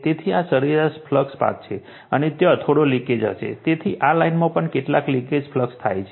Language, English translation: Gujarati, So, this is the mean flux path, and there will be some leakage so, this line also so some leakage flux path right